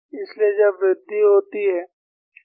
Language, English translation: Hindi, So, when a increases, K is going to decrease